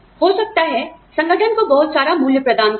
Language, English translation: Hindi, Maybe, offer a lot of value to the organization